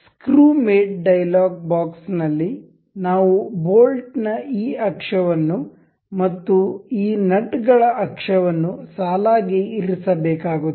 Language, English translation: Kannada, Now in the screw mate dialog box we will see we have to select this axis of the bolt and also the axis of this nut to be aligned